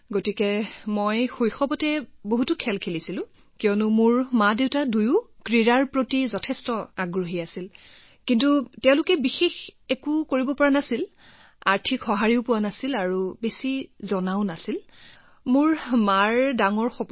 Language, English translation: Assamese, So I used to play a lot of games in my childhood, because both my parents were very much interested in sports, but they could not do anything, financial support was not that much and there was not that much of information available